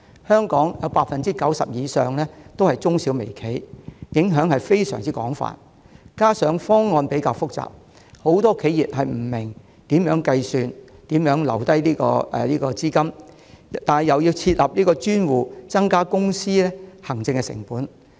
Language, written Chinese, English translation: Cantonese, 香港商界中有 90% 以上是中小微企，影響十分廣泛；再加上方案複雜，很多企業不明白如何計算所須承擔的補償金和須預留多少款項；同時又要設立專戶，增加公司的行政成本。, With micro small and medium enterprises accounting for over 90 % of the business sector of Hong Kong the impact would be widespread . Moreover many companies confounded by the complexity of the proposal have a hard time calculating the amount of compensation to be borne by them and the amount of funds that needs to be set aside . Meanwhile dedicated accounts must be set up adding to the administrative costs of companies